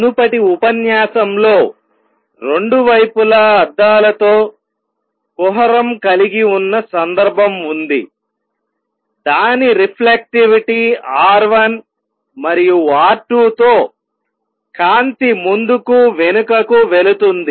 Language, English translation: Telugu, The previous lecture we considered case where I have a cavity with mirrors on two sides with reflectivity R 1 and R 2 and light going back and forth